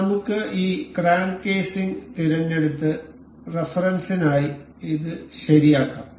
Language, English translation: Malayalam, So, let us pick this crank casing and fix this for the reference